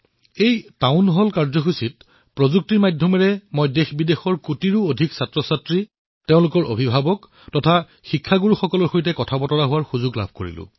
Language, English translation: Assamese, In this Town Hall programme, I had the opportunity to talk with crores of students from India and abroad, and also with their parents and teachers; a possibility through the aegis of technology